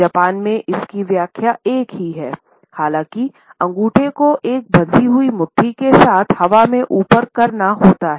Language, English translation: Hindi, In Japan we find that the interpretation is the same; however, one has to stick the thumb up in the air with a clenched fist